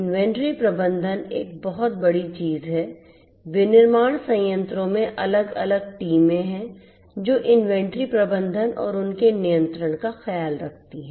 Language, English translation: Hindi, Inventory management is a huge thing in manufacturing plants is a huge thing there are separate teams which take care of inventory management and their control